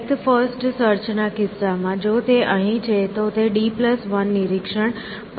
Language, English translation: Gujarati, So, in the case of depth first search, if it is here, it will just inspected after d plus 1 inspections